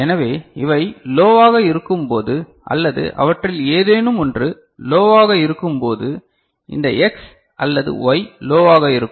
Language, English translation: Tamil, So, when these are low or any one of them is low this X or Y are low ok